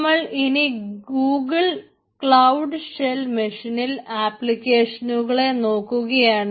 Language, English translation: Malayalam, so i will face all the application in my google cloud shell machine